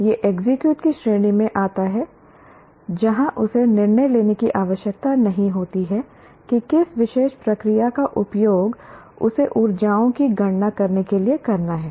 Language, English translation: Hindi, It comes under the category of execute where he doesn't have to make a decision which particular process that he has to use to compute the energies